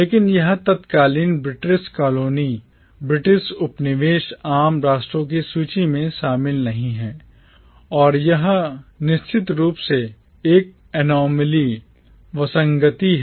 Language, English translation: Hindi, But this erstwhile British colony does not feature in the list of commonwealth nations and it is of course an anomaly